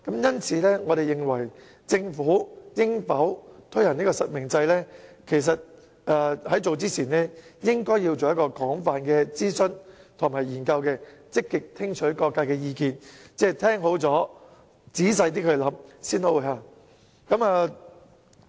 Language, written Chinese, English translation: Cantonese, 因此，我們認為政府在考慮應否推行實名制之前，應該先進行廣泛諮詢和研究，積極聽取各界意見，聽完意見後仔細考慮，然後才實行。, Therefore we think that before considering the implementation of real name registration the Government should conduct extensive consultation and studies lean a listening ear to the voices of various sectors and think it through seriously before putting it into practice